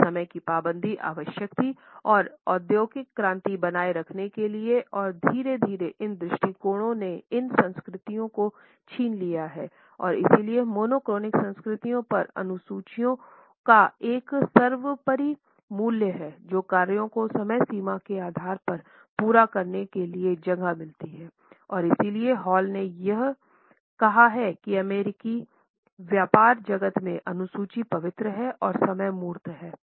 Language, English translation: Hindi, This punctuality was necessary to maintain and sustain industrial revolution and gradually these attitudes have seeped into these cultures and therefore, monochronic cultures place a paramount value on schedules on tasks on completing the things by the deadline and therefore, Hall has gone to the extent to say that in the American business world, the schedule, is sacred and time is tangible